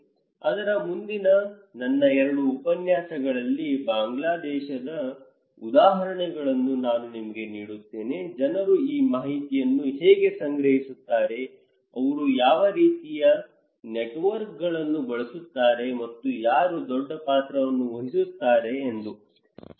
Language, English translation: Kannada, In my 2 other lectures next to that, I would then give you the examples for Bangladesh, the results that feedbacks that how people collect this information, what kind of networks they use and who play a bigger role, okay